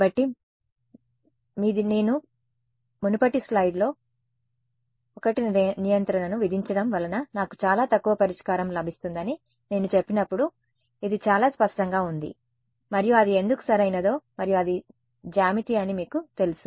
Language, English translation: Telugu, So, your this is very clear like when I in the previous slide when I said that imposing 1 norm gives me a sparse solution you know why it does right and that is geometry